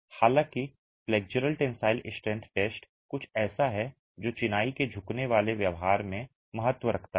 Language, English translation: Hindi, However, the flexual tensile strength test is something that is of significance in bending behavior of masonry